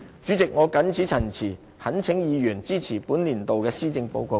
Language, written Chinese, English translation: Cantonese, 主席，我謹此陳辭，懇請議員支持本年度的施政報告。, With these remarks President I urge Members to support this years Policy Address